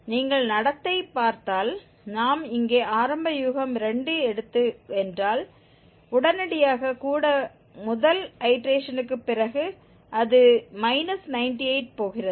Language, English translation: Tamil, If you see the behavior, if we take the initial guess 2 here, immediately after even first iteration it is going to minus 98